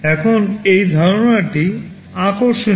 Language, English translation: Bengali, Now this concept is interesting